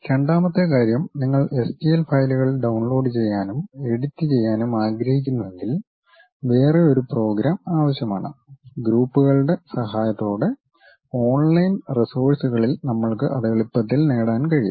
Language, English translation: Malayalam, And second thing, if you wish to download and edit STL files a secondary program must be required as we can easily get it on online resources with the help from groups